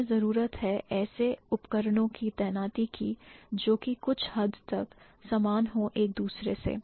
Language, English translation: Hindi, They have to deploy tools which are going to be common up to some extent with each other